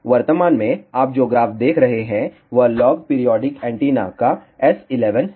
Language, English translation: Hindi, What you see currently on the graph is S11 of log periodic antenna